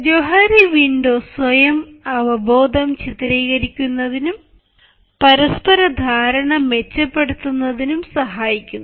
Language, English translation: Malayalam, so johari window actually functions to illustrate and improve self awareness and mutual understanding